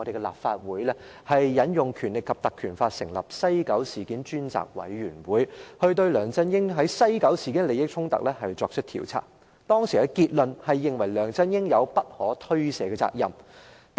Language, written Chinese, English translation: Cantonese, 立法會引用了《立法會條例》成立專責委員會進行調查。當時的結論是梁振英有不可推卸的責任。, The Legislative Council established a select committee under the Legislative Council Ordinance to conduct an inquiry and the conclusion was that LEUNG Chun - ying had unshirkable responsibility